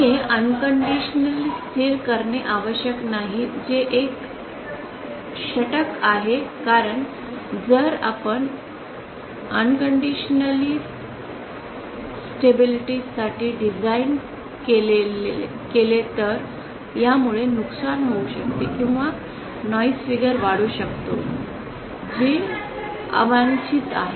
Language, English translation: Marathi, It is not necessary to make it unconditionally stable that is an over because if you spend if you design for unconditional stability then it might lead to loss or gain or increase noise figure which is undesired